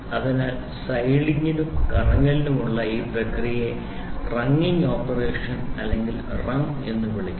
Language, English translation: Malayalam, So, this process of sliding and rotating is called as wringing operation or wrung